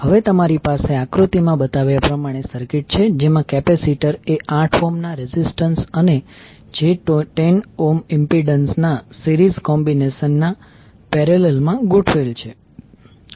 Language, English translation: Gujarati, Now you have the circuit as shown in the figure in which the capacitor is connected in parallel with the series combination of 8 ohm, and 8 ohm resistance, and j 10 ohm impedance